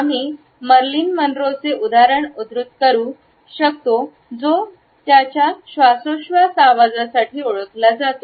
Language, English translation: Marathi, We can quote the example of Marilyn Monroe who is known for her breathy voice